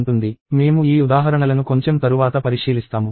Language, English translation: Telugu, We will look at these examples in a little later